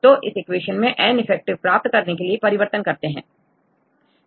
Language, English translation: Hindi, So, use this equation then if you change this equation to get the N effective right